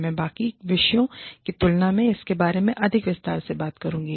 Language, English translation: Hindi, I will talk about it in greater detail, than the rest of these topics